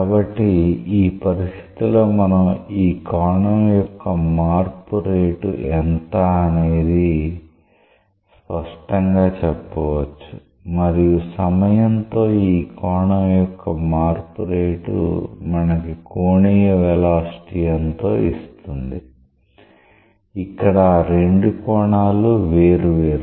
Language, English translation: Telugu, So, if that was the case we could clearly say that what is the rate of change of this angle and the time rate of change of that angle would have given the angular velocity very straight forward, here those angles are different